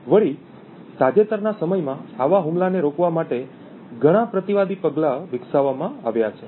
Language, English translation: Gujarati, Also, there have been many countermeasures that have been developed in the recent past to prevent this attack